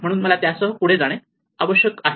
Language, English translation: Marathi, So, i must go ahead with it